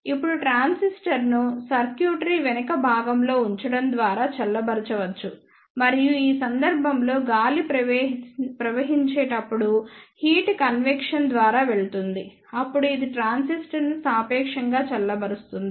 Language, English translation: Telugu, Now, if the transistor can also be cooled by placing at the back end of the circuitry and in this case the heat goes through the convection when air flows then this makes the transistor relatively cool